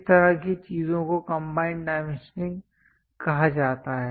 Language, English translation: Hindi, Such kind of things are called combined dimensioning